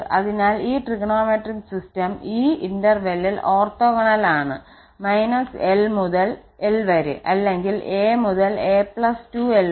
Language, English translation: Malayalam, So, this trigonometric system is also orthogonal in these intervals minus l to l or a to a plus 2l